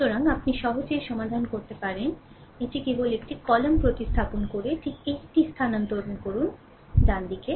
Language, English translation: Bengali, So, this way you can easily solve, it just replace one column just shift it, right